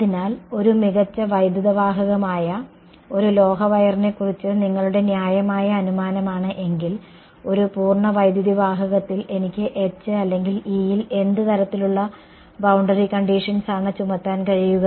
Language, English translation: Malayalam, So, if your what is a reasonable assumption for a metallic wire that is a perfect conductor; on a perfect conductor what kind of boundary condition can I imposed can I imposed on H or an E